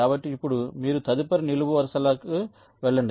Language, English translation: Telugu, so now you move to the next columns